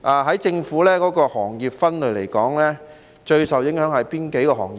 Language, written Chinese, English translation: Cantonese, 按政府的行業分類而言，最受影響的是哪些行業呢？, According to the Governments classification of industries which industries are most affected?